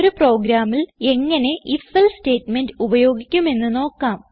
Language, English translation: Malayalam, We will now see how the If…else statementcan be used in a program